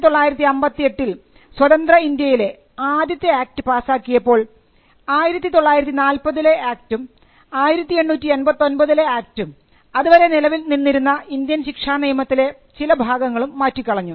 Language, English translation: Malayalam, So, 1958 was the first act passed by independent India, and it replaced the 1940 act, the 1889 act and some provisions of the Indian penal court